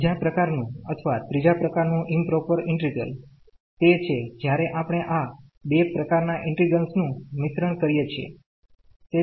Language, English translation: Gujarati, The second type or the third kind of improper integral is when we mix these two types of integrals